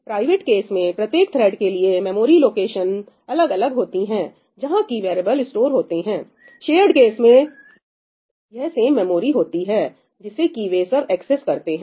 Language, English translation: Hindi, In the case of private, the memory location is different for each thread where that variable is stored; in case of shared, it is the same memory location that they are accessing